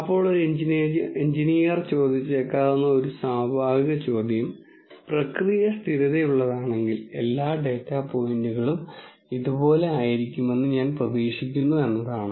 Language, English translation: Malayalam, Then a natural question an engineer might ask is if the process is stable I would expect all of the data points to be like